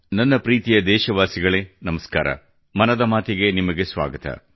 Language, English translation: Kannada, My dear countrymen, Namaskar, Welcome to Mann Ki Baat